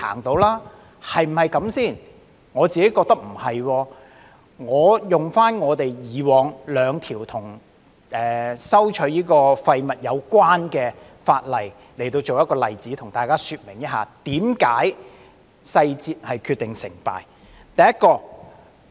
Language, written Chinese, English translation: Cantonese, 我認為不是的，讓我引用以往兩項與廢物徵費有關的法例作為例子，向大家說明為甚麼細節會決定成敗。, No I do not think so . Let me cite the example of two pieces of legislation relating to waste charging implemented in the past to illustrate why success or failure is in the details